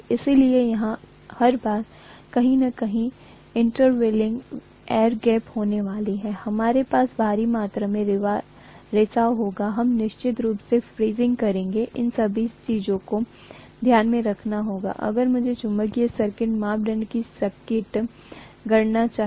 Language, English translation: Hindi, So we are going to have every time there is an intervening air gap anywhere, we will have huge amount of leakage, we will have definitely fringing, all these things have to be taken into consideration if I want an accurate calculation of the magnetic circuit parameters, right